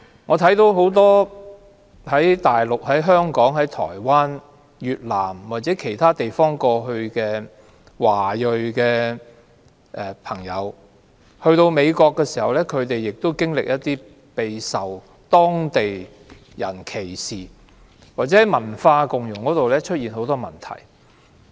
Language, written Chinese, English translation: Cantonese, 我看到很多從內地、香港、台灣、越南或其他地方前往美國的華裔朋友，到美國後亦備受當地人歧視，或在文化共融方面出現很多問題。, Many Chinese who emigrated to the United States from the Mainland Hong Kong Taiwan Vietnam and other places are discriminated by the locals . They have difficulties in integrating into the local cultures